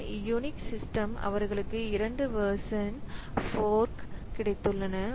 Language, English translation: Tamil, So, some unique system so they have got two versions of fork